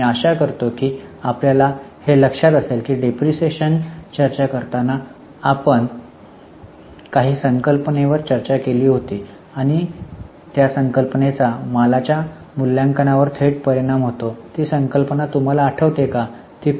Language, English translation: Marathi, I hope you remember that while discussing depreciation, we had discussed some concept and that concept has direct bearing on the valuation of inventory